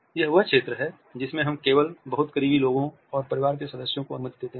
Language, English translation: Hindi, This is also a zone in which we allow only very close people and family members